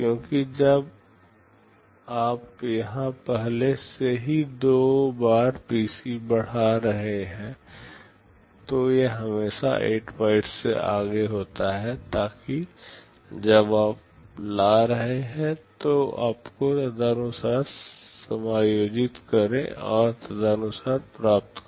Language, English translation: Hindi, Because when you are executing here already incremented PC two times it is always 8 bytes ahead, so that when you are fetching you should accordingly adjust and fetch accordingly